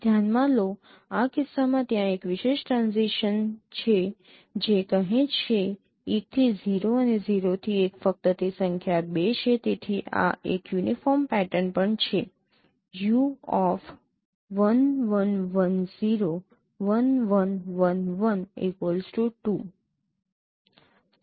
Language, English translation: Gujarati, Consider this in this case there is a special transitions say 1 to 0 and 0 to 1 only that is number is 2